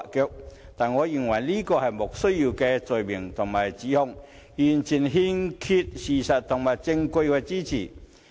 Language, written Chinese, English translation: Cantonese, 然而，我認為這是"莫須有"的罪名和指控，完全欠缺事實和證據的支持。, In my view however all this is but an unfounded charge and allegation not substantiated with any fact or evidence